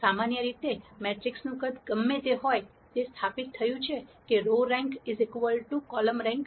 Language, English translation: Gujarati, In general whatever be the size of the matrix, it has been established that row rank is equal to column rank